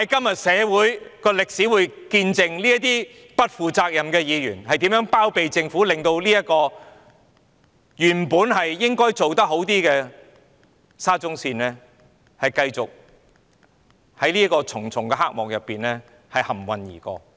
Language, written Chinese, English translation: Cantonese, 然而，社會和歷史將要見證這些不負責任的議員如何包庇政府，如何令這個原本應可做得更好的沙中線工程，繼續在重重黑幕中蒙混而過。, Nonetheless society and history will bear witness to the acts of these irresponsible Members in sheltering the Government and allowing the SCL project which could have been done better to be muddled through continually in the midst of these shady deals